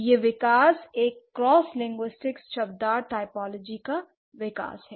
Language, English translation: Hindi, So this, this development, this is a cross linguistic, semantic, typological development, right